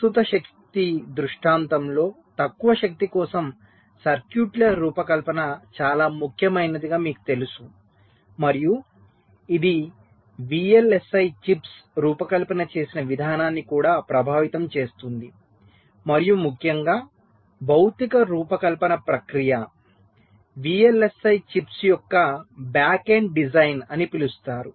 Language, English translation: Telugu, ah, as you know, designing a circuits for low power has become so much very important in the present day scenario and it also affects the way vlsi chips are designed and also, in particular, the physical design process, the so called back end design of the vlsi chips, the way they are done today